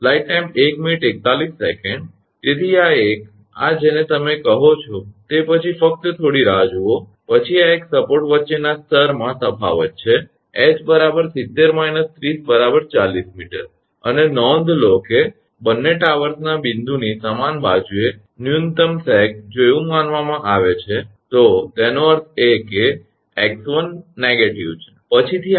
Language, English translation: Gujarati, Therefore, the this this one your what you call then just hold on, then this one is the difference in level between the support, h is equal to 70 minus 30 40 meter, and note that both the towers on the same side of the point of minimum sag if it is said so, that means x 1 is negative right later we will see